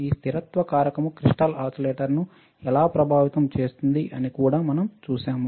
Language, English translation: Telugu, We have also seen how this stability factor affects the crystal oscillator